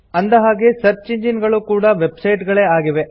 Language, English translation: Kannada, After all, search engines are websites too